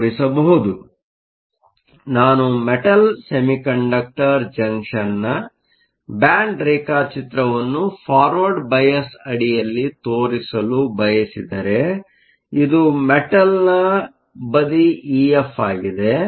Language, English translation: Kannada, So, if I want to show the band diagram of a Metal Semiconductor junction under forward bias, this is your metal side E f